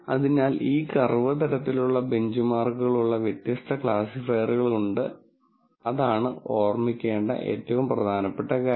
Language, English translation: Malayalam, So, this curve kind of benchmarks different classifiers so, that is the most important thing to remember